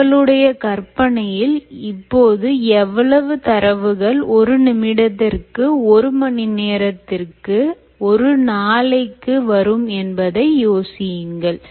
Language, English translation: Tamil, and just imagine the amount of data that you will collect in one minute, one hour and one day